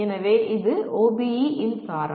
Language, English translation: Tamil, So this is the essence of OBE